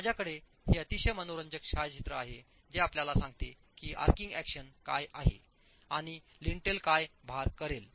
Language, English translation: Marathi, I have this very interesting photograph that tells you what is arching action and what is the load that the lintel will carry